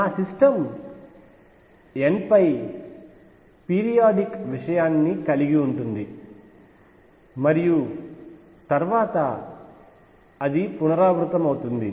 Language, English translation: Telugu, My system consists of this periodic thing over n and then it repeats itself